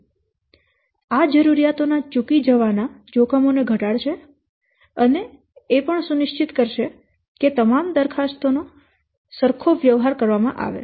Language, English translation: Gujarati, So, this will reduce the risk of requirements being missed and ensures that all proposals are treated consistently